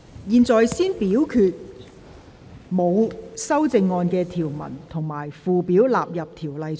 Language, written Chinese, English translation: Cantonese, 現在先表決沒有修正案的條文及附表納入《條例草案》。, The committee now first votes on the clauses and schedules with no amendment standing part of the Bill